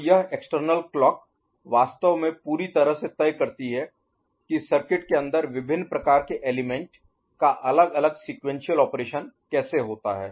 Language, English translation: Hindi, So, this external clock actually totally decides how the these different the sequential operation of the different kind of elements inside the circuit, ok